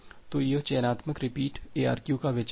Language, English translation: Hindi, So, this is the idea of the selective repeat ARQ